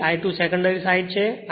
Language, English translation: Gujarati, So, I 2 is on the secondary side